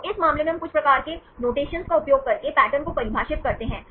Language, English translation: Hindi, So, in this case we define patterns using some sort of notations